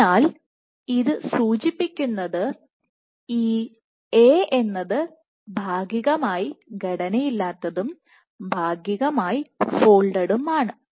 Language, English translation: Malayalam, So, what this suggests is this particular A is partly unstructured plus partly folded